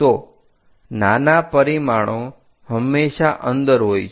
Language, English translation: Gujarati, So, smaller dimensions are always be inside